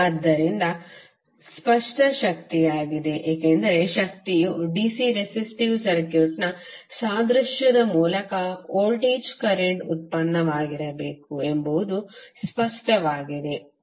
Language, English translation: Kannada, So it is apparent power because it seems apparent that the power should be the voltage current product which is by analogy with the DC resistive circuit